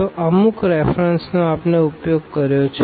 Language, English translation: Gujarati, So, these are the references used